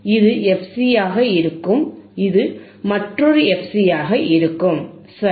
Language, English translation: Tamil, This will be fc, this will be another fc, right